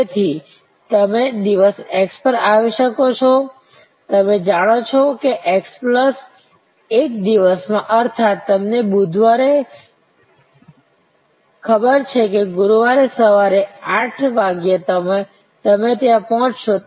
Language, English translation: Gujarati, So, you may arrive at day x, you will know that in x plus 1; that means, you are on Wednesday, you will know that Thursday morning 8 AM will be the time and you should be there